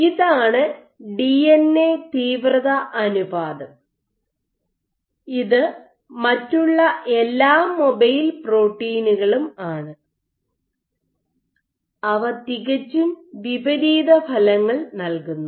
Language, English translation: Malayalam, So, this is the DNA intensity ratio and this is your other all the mobile proteins, they exert completely opposite effects ok